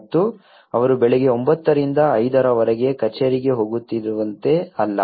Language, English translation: Kannada, And it is not like they are going morning 9:00 to 5:00 is an office